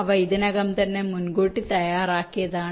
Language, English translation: Malayalam, they are already pre fabricated